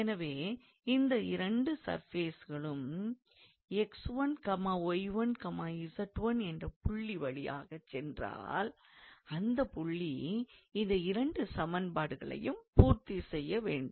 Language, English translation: Tamil, So, if both of these two level surfaces passes through this point x 1, y 1, z 1, then the point must satisfy these two equations